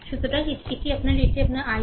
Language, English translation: Bengali, So, this is your this is your i 4